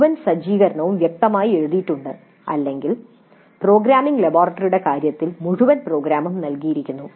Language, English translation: Malayalam, The whole setup is clearly written or in the case of programming laboratory the entire program is given